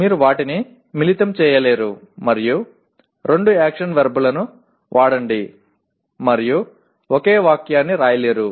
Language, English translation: Telugu, You cannot combine them and write it as use two action verbs and write a single sentence